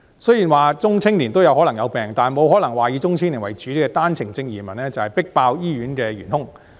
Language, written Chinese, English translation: Cantonese, 雖然中青年人也可能生病，但沒可能說以中青年為主的單程證移民，就是迫爆醫院的元兇。, Even though middle - aged or young people may likewise get sick it is still impossible to say that OWP entrants who are mainly middle - aged and young people are precisely the main culprit for the overload on our hospitals